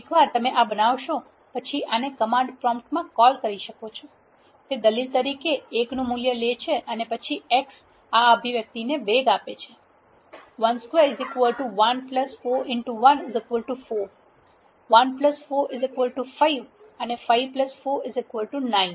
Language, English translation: Gujarati, Once you create this you can call this in the command prompt itself function of one gives takes the value of one as an argument and then x accelerates this expression 1 squared is 1 plus 4 times 1 is 4, 1 plus 4 is 5, and plus 4, 9